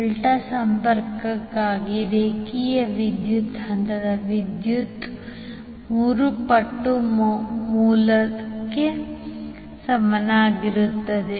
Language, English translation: Kannada, So for the delta connection the line current will be equal to root 3 times of the phase current